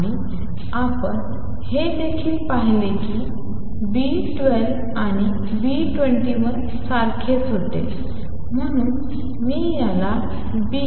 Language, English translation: Marathi, And we also saw that B 12 was same as B 21 so I am going to call this B